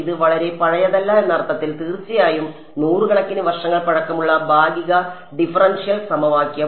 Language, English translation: Malayalam, In the sense that it is a not very very old, partial differential equation of course, hundreds of years old